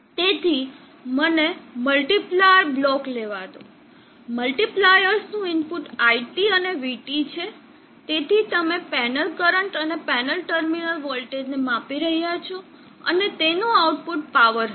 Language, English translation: Gujarati, So let me have a multiplier block, the input of the multipliers are IT and VT, so you are measuring the panel current and the panel terminal voltage, and the output of that would be the power